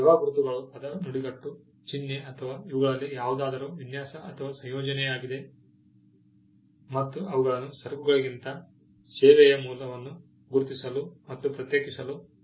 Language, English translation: Kannada, Service marks are word phrase symbol or design or combination of any of these and they are used to identify and distinguish the source of a service rather than goods